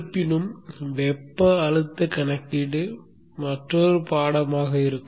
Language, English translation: Tamil, However the thermal stress calculation will be another course in itself